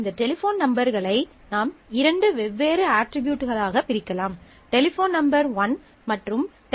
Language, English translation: Tamil, You can separate out these phone numbers into two different attributes; Telephone number 1 and 2